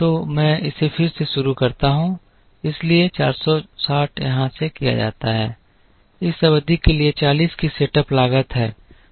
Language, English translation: Hindi, So, let me do it again from the beginning so the 460 is carried from here there is a setup cost of 40 for this period